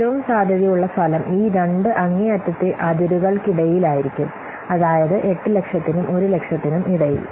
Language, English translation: Malayalam, The most likely outcome is somewhere in between these two extreme extremes that means in between 8,000 and this 1,000